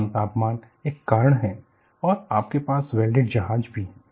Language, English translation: Hindi, Low temperature is one cause and you also have welded ships